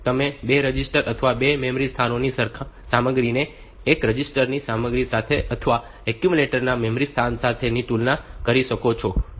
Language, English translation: Gujarati, So, you can compare content of 2 registers or memory locations with the content of one register or memory location with that of accumulator